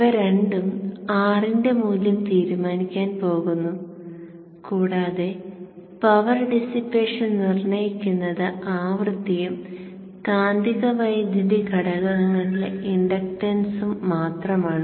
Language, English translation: Malayalam, So these two are going to decide the value of R and the power dissipation is determined only by frequency and the inductance and magnetizing current components